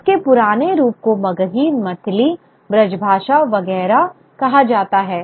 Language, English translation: Hindi, Its older form is called Maghi, Meathali, Brajshasa, etc